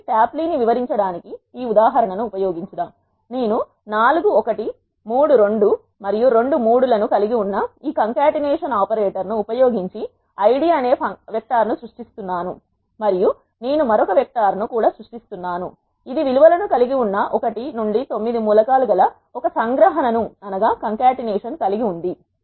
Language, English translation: Telugu, So, to illustrate tapply let us use this example, I am creating a vector called Id using this concatenation operator which contains four 1’s, three 2’s and two 3’s and I am also creating another vector which is having the values again a concatenation which are having the elements 1 to 9